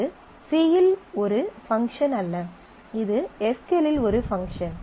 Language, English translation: Tamil, So, this is a function which is not a function in C, this is a function in SQL